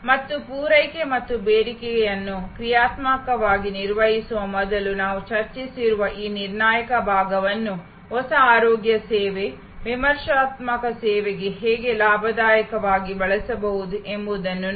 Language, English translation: Kannada, And see how this critical part that we have discuss before of managing supply and demand dynamically can be used for a new health care service, critical service gainfully